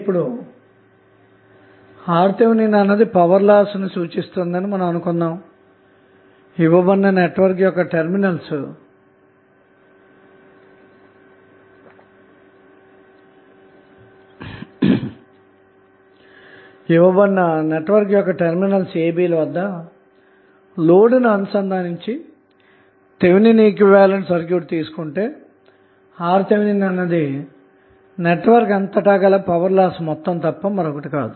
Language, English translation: Telugu, Now, if Rth is represented as loss of the circuit, so, what happens if you have the network like this and you are connecting load to this external terminal AB if this network is represented as Thevenin equivalent, but, the value of Rth which we are seeing here is nothing but total loss which is there in the network